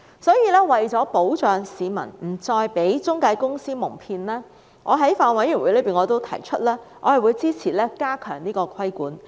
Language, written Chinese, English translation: Cantonese, 所以，為了保障市民不再被中介公司蒙騙，我在法案委員會上表示我會支持加強規管。, Thus I indicated at the Bills Committee that I supported tightening the regulations to protect the public from being cheated by intermediaries